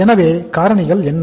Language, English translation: Tamil, So what are the factors